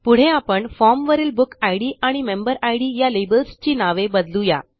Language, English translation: Marathi, Okay, next, let us rename the BookId and MemberId labels on the form